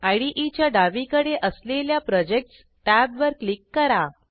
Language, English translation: Marathi, Click on the Project tab on the left hand side of the IDE